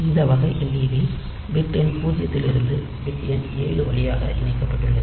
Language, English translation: Tamil, So, we have got this type of led is connected from bit number zero through bit number seven